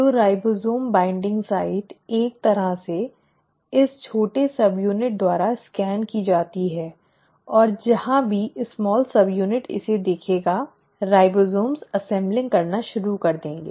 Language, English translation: Hindi, So the ribosome binding site is kind of scanned by this small subunit and wherever the small subunit will see this, the ribosomes will start assembling